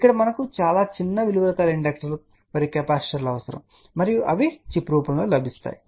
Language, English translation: Telugu, Here we need very small values of inductors and capacitors and they are available in the form of the chip